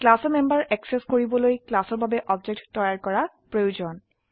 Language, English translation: Assamese, To access the members of a class , we need to create an object for the class